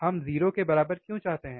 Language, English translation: Hindi, wWhy we want equal to 0